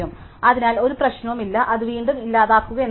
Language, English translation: Malayalam, So, there is no problem it is just calling delete again